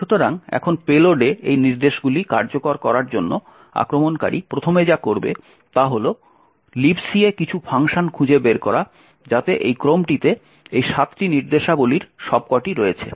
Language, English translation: Bengali, So, now the first thing the attacker would do in order to execute these instructions in the payload is to find some function in or the libc which has all of these 7 instructions in this order